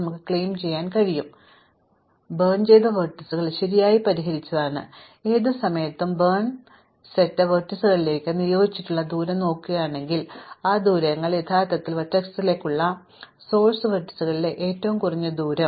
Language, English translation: Malayalam, What you want to claim is that the burnt vertices are correctly solved, that is at any point if we look at the distances assigned to the vertices in the burnt set, then those distances are actually the shortest distance in the source vertices to that burnt vertex